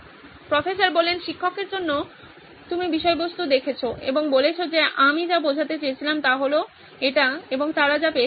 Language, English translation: Bengali, For the teacher you are looking at the content and saying what I wanted to convey is this and what they got is this